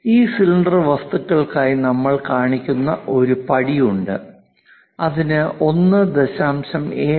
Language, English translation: Malayalam, For these cylindrical objects what we are showing is there is a step, for that there is a length of 1